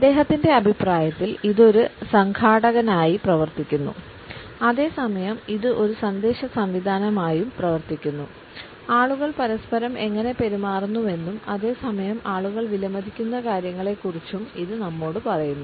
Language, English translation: Malayalam, In his opinion it acts as an organizer and at the same time it also acts as a message system it reveals how people treat each other and at the same time it also tells us about the things which people value